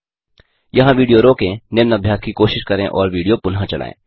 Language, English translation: Hindi, Now, pause the video here, try out the following exercise and resume the video